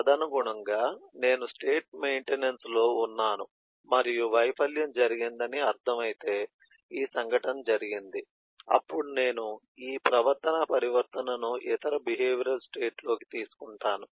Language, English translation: Telugu, and further, you can say that if, eh, I mean am in state maintenance and a failure has happen, this event has happen, then I take this behavioral transition into a other behavioral state out of service